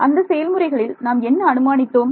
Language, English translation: Tamil, Right so, in these methods what did we assume